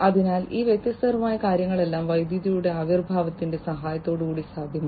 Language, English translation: Malayalam, So, all these different things have been possible with the help of the advent of electricity